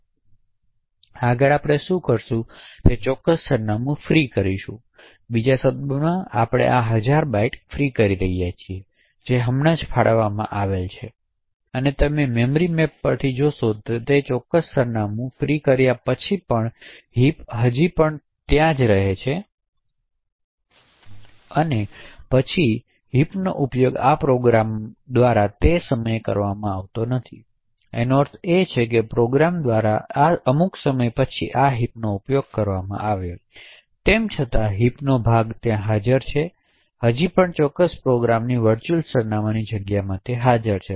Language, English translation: Gujarati, Next what we will do is we will free that particular address, in other words we are freeing this thousand bytes which has just got allocated and what you would see from the memory maps is that even after freeing that particular address the heap still remains the same that there is even though the heap is not being used by this program at this particular instant of time, so what this means is that even though the heap is not being used after this particular point in time by the program, nevertheless the heap segment is still present in the virtual address space of the particular program